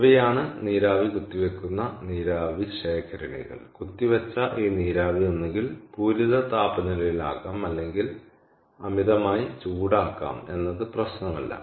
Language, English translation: Malayalam, ok, so this steam that is injected can be either at the saturated temperature or can be superheated, doesnt matter